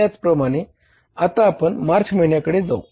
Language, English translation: Marathi, Similarly now we go for the March